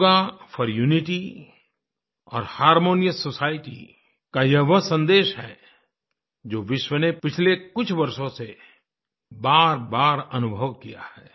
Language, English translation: Hindi, Yoga for unity and a harmonious society conveys a message that has permeated the world over